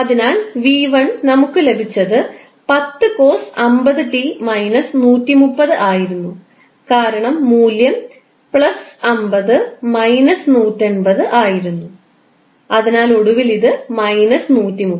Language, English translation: Malayalam, So, V1, what we got is 10 cost 50 t minus 130 because the value was plus 50 minus 180, so it will finally become minus 130